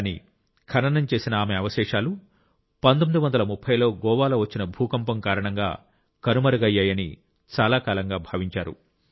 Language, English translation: Telugu, But, for a long time it was believed that her remains buried in Goa were lost in the earthquake of 1930